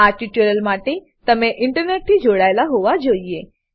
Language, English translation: Gujarati, For this tutorial, You must be connected to the Internet